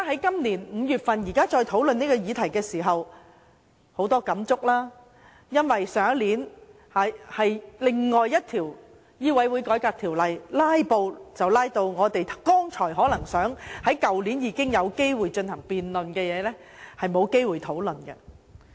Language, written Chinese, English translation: Cantonese, 現在再討論這個議題，感觸良多，因為去年審議《2016年醫生註冊條例草案》時出現"拉布"，令去年有機會進行辯論的議題，變成沒有機會討論。, We are overwhelmed with feelings and sentiments as this topic is now discussed again because of the filibusters staged during the examination of the Medical Registration Amendment Bill 2016 last year . As a result we lost the opportunity to discuss the question which should have been debated last year